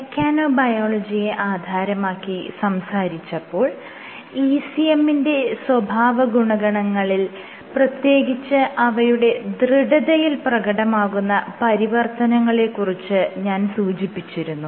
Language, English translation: Malayalam, So, one of the things which I said in terms of mechanobiology is the alteration in ECM properties namely stiffness